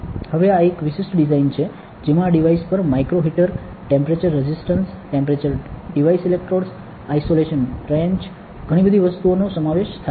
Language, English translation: Gujarati, Now, this is a special design, where that incorporates micro heaters, temperature resistance temperature devices electrodes, isolation trenches a lot of things on this device